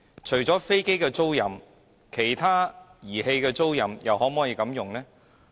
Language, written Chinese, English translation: Cantonese, 除了飛機租賃外，其他儀器的租賃可否也這樣做呢？, Besides aircraft leasing can the leasing of other equipment receive the same treatment?